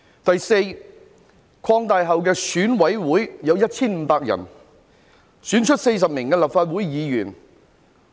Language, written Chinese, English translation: Cantonese, 第四，擴大後的選舉委員會有 1,500 名委員，將會選出40位立法會議員。, Fourth the expanded Election Committee EC will be comprised of 1 500 members who will elect 40 Members of the Legislative Council